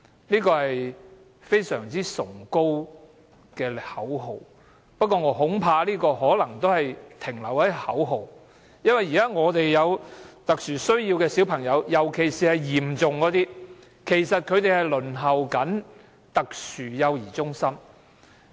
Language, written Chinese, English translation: Cantonese, "零輪候"是非常崇高的口號，但我恐怕可能只是停留在口號，因為現時有特殊需要的小朋友，尤其是情況嚴重的，其實仍在輪候特殊幼兒中心。, Zero - waiting time is a very lofty slogan but I fear that it may remain a mere slogan because at present children with special needs particularly those in serious conditions must still wait for places in Special Child Care Centres SCCCs . As at today 1 537 children with special needs are still waiting for SCCC places